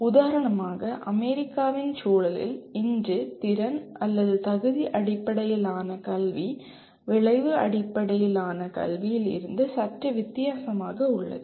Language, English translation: Tamil, For example today Competency Based Education has come to be slightly different from Outcome Based Education in the context of USA